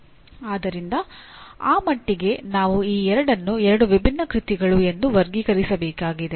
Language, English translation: Kannada, So to that extent I have to classify these two are two different works